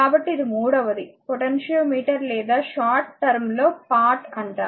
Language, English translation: Telugu, So, this is third one is symbol for potentiometer or pot for short, right